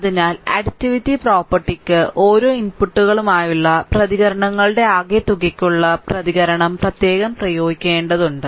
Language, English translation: Malayalam, So, additivity property is it requires that the response to a sum of inputs to the sum of the responses to each inputs applied separately